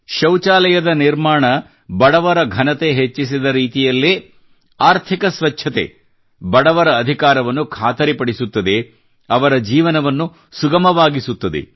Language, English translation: Kannada, The way building of toilets enhanced the dignity of poor, similarly economic cleanliness ensures rights of the poor; eases their life